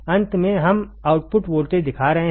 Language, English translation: Hindi, Finally, we are showing the output voltage